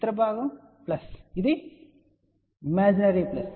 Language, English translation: Telugu, Other part is plus which is imaginary plus